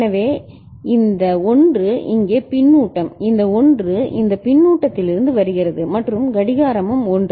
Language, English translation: Tamil, So, this 1 is feedback here, this 1 is there coming from this feedback and clock is also 1 right